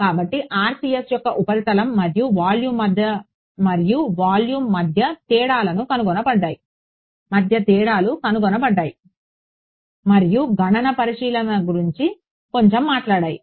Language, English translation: Telugu, So, differences between surface and volume found of the RCS and spoke a little about computational considerations